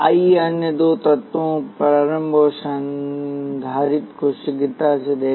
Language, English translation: Hindi, Let us quickly look at the other two elements the inductor and the capacitor